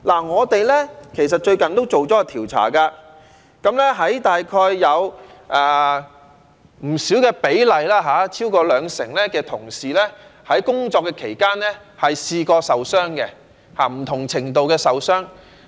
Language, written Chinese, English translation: Cantonese, 我們其實最近做了調查，大約有不低的比例，即超過兩成的外賣員在工作期間曾經受傷，不同程度的受傷。, Actually our recent survey has discovered that the proportion of takeaway delivery workers sustaining injuries of a varying degree in the course of work is not low and it stands at over 20 %